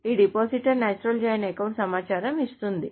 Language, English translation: Telugu, So what does the depositor natural joint account does